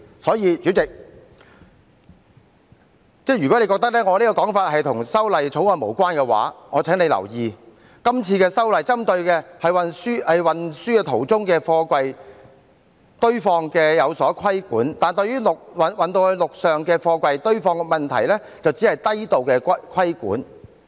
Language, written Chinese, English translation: Cantonese, 所以，代理主席，如果妳認為我這個說法與《條例草案》無關，我請你留意，今次修例針對的是在運輸途中的貨櫃的堆放作出規管，但對於陸上貨櫃堆放的問題卻只是低度規管。, For that reason Deputy President if you consider that this point is irrelevant to the Bill I hope you will pay attention to the fact that the Bill regulates the safety in the stacking of containers during the transport process . But there is a low level of regulation over the safety in the stacking of containers on land